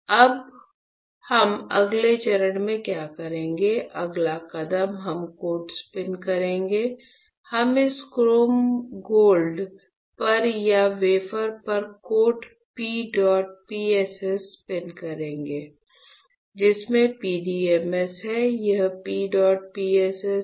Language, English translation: Hindi, So, now, what we will be doing in the next step is; the next step we will spin coat, we will spin coat P dot PSS on to this chrome gold or on the wafer, which has PDMS, this is P dot PSS all right